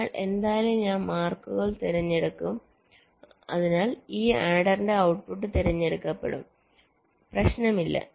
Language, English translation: Malayalam, so anyway, i will be selecting the marks so that the output of this will get selected